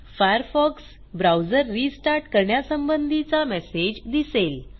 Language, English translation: Marathi, You will be prompted to restart the Firefox browser